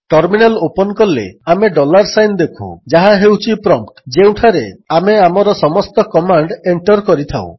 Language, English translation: Odia, When we open the terminal we can see the dollar sign which is the prompt at which we enter all our commands